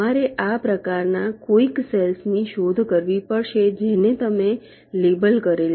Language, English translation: Gujarati, you have to do some kind of searching of this cells which you have labeled